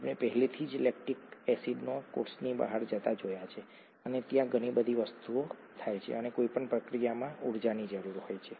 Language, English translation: Gujarati, We already saw lactic acid going out of the cell and so many things happen there and any process requires energy